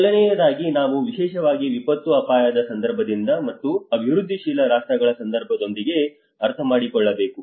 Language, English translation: Kannada, First of all, we have to understand with the especially from the disaster risk context and also with the developing countries context